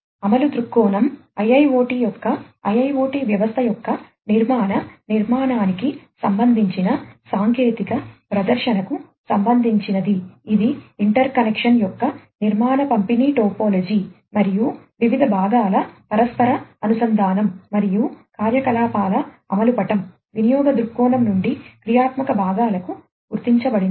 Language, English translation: Telugu, Implementation viewpoint relates to the technical presentation of the IIoT system generating architecture of the IIoT, it is structure distribution topology of interconnection, and interconnection of different components, and the implementation map of the activities, as recognized from the usage viewpoint to the functional components